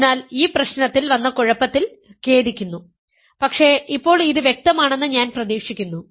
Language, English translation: Malayalam, So, sorry about the confusion in this problem, but I hope it is clear now